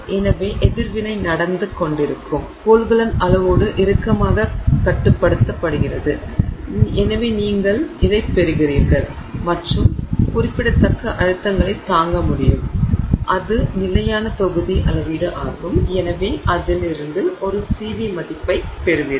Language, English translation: Tamil, So, the container where the reaction is going on is tightly controlled in volume and therefore you get and can withstand significant pressures and that is constant volume measurement and so you get a CV value out of it